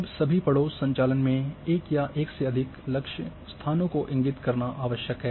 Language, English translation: Hindi, Now, in all neighbourhood operation it is necessary to indicate one or more target locations